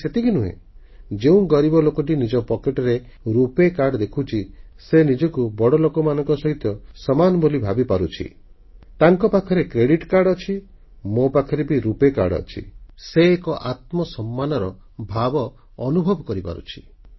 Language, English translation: Odia, Not just this, when a poor person sees a RuPay Card, in his pocket, he finds himself to be equal to the privileged that if they have a credit card in their pockets, I too have a RuPay Card in mind